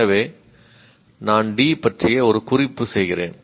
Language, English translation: Tamil, So I make a note of D